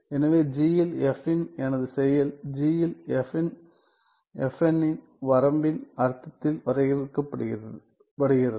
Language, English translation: Tamil, So, my action of f on g is defined in the limiting sense of f n on g right